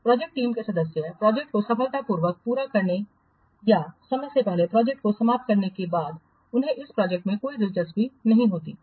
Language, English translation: Hindi, The project team members after either successfully completing the project or prematurely terminating the project, they don't have any interest in that project